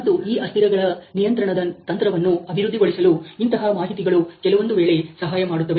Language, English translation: Kannada, And such information is helping some times in developing a control strategy for these variables